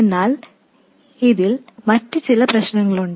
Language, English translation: Malayalam, But there are some other problems with this